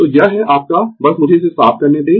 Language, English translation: Hindi, So, this is your just let me clear it